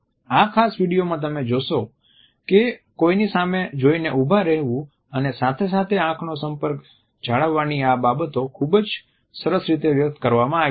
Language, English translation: Gujarati, In the particular video you would find that these aspects of opening up one’s body as well as maintaining the eye contact is done very nicely